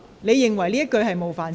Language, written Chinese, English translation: Cantonese, 你認為這句言詞有冒犯性？, Do you consider this remark offensive?